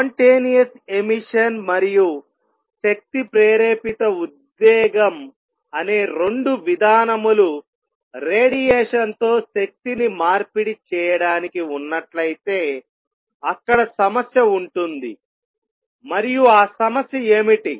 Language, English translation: Telugu, If only spontaneous emission and energy induced excitation were the only 2 mechanisms to exchange energy with radiation there will be problem and what is the problem let me state that first